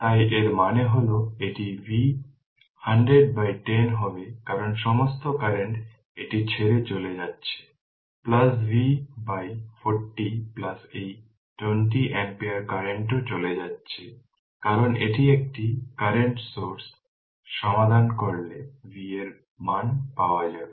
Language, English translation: Bengali, So; that means, it will be V minus 100 by 10 because all currents are leaving this is leaving plus V by 40 plus this 20 ampere current is also leaving because this is a current source right is equal to 0 if you solve this you will get the value of V right